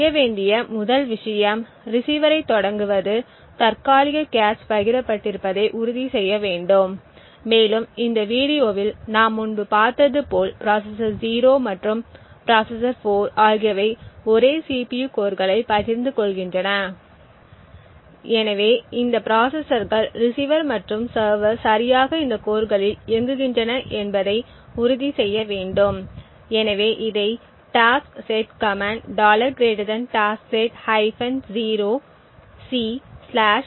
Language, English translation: Tamil, The 1st thing to do is to start the receiver and we need to ensure that the cache is shared and as we have seen earlier in this video the processor 0 and the processor 4 are essentially sharing the same CPU core thus we need to ensure that both these processors the receiver and the server are executing on exactly this core, so we can do this by the taskset command taskset c 0